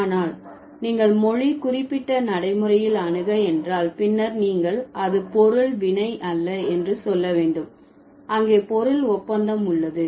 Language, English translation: Tamil, But if you approach the language specific pragmatics, then in Hindi you would say it's not just subject verb there is also the object agreement